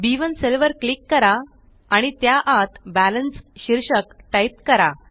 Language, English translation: Marathi, Click on the cell referenced as B1 and type the heading BALANCE inside it